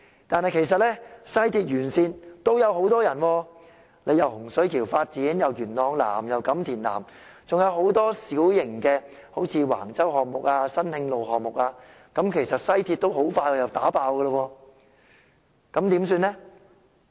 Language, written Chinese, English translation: Cantonese, 但其實西鐵沿線地區也有很多居民，既有洪水橋新發展區，又會在元朗南及錦田南進行發展等，還有很多小型項目，如橫洲項目及新慶路項目，其實西鐵線很快又被迫爆。, Yet there are a lot of residents in areas along the West Rail Line such as the Hung Shui Kiu New Development Area development in South Yuen Long and South Kam Tin as well as many small projects such as the ones in Wang Chau and on San Hing Road . The West Rail Line will be overloaded very soon